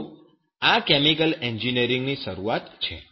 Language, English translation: Gujarati, So this is the beginning of this chemical engineering